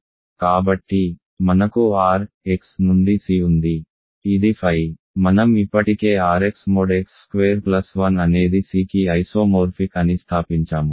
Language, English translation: Telugu, So, we have R x to C which is phi we have already established R x mod x square plus 1 is isomorphic to C